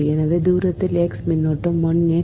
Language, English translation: Tamil, so at a distance x current is i x